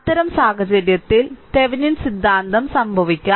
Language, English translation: Malayalam, So, in the in that case, it may happen that Thevenin theorem